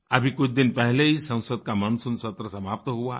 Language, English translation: Hindi, The monsoon session of Parliament ended just a few days back